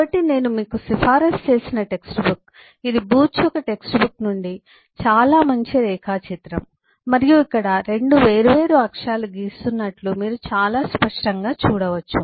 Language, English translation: Telugu, so this the very nice diagram from the text book that I have recommended to you from the booch’s text book and you can see very clearly that, eh, here the 2 different axis are being drawn